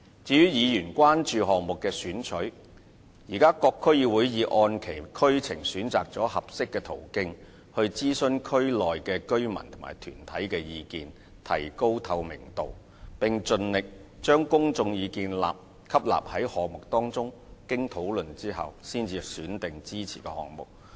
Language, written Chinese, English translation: Cantonese, 至於議員關注到項目的選取過程，現時各區議會已按其區情選擇了合適的途徑，諮詢區內居民和團體的意見，以提高透明度，並盡力把公眾意見吸納於項目當中，經討論後才選定支持的項目。, As to Members concern about the screening process for such projects at present various DCs have taking into account their local circumstances adopted suitable channels to consult local residents and organizations in order to enhance transparency . They have also thoroughly reflected public opinions in the projects for discussion before selecting the SPS projects favoured by them